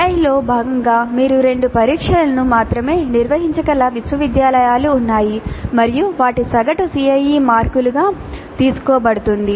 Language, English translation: Telugu, There are universities where you can conduct only two tests as a part of CIE and their average is taken as the CIE marks